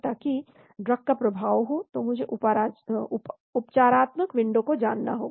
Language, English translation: Hindi, So that the drug has an effect, so I need to know therapeutic window